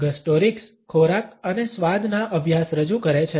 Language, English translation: Gujarati, Gustorics represents studies of food and taste